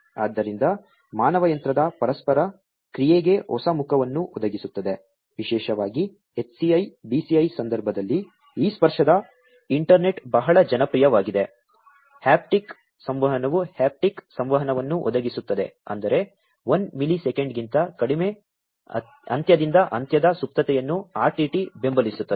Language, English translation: Kannada, So, provides a new facet to human machine interaction, particularly in the context of HCI, BCI, etcetera this a tactile internet has become very popular, haptic communication it provides haptic communication enable meant supports low end to end latency of less than 1 millisecond RTT